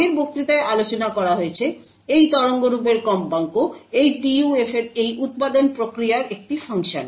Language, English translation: Bengali, As discussed in the previous lecture the frequency of this waveform is a function of these manufacturing process of this PUF